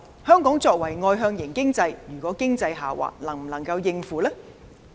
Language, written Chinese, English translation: Cantonese, 香港作為外向型的經濟體系，若經濟下滑，能否應付？, Hong Kong is an externally - oriented economy if our economy turns bad can we cope?